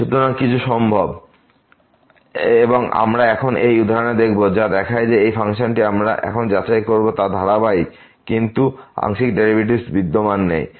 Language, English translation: Bengali, So, anything is possible and we will see now in this example which shows that this function we will check now is continuous, but its partial derivatives do not exist